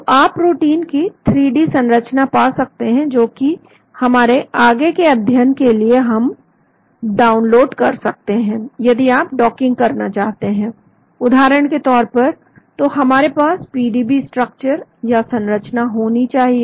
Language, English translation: Hindi, So you can get the 3D structure of this protein which we can download for our further studies, if you want to perform docking for example, then we need to have the PDB structure